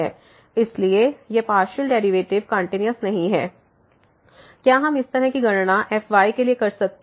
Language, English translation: Hindi, Therefore, these partial derivatives are not continuous; did we can do the similar calculation for